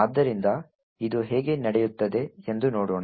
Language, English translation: Kannada, So, let us see how this can take place